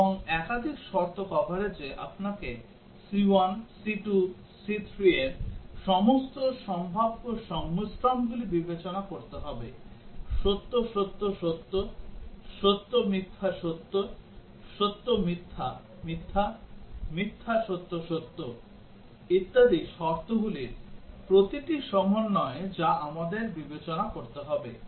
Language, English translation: Bengali, And in multiple condition coverage, you have to consider all possible combinations of conditions of c 1, c 2, c 3; true, true, true; true, false, true; true, false, false; false, true, true etcetera every combination of the conditions we need to consider